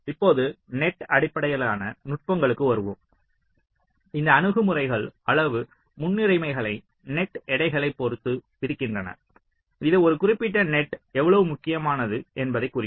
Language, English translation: Tamil, now coming to the net based techniques, these approaches impose quantitative priorities with respect to net weights, which can indicate how critical a particular net is